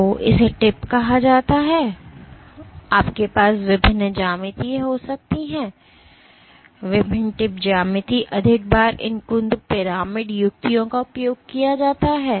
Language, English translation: Hindi, So, this is called the tip, you can have various geometries, various tip geometries including more often these blunt pyramidal tips are used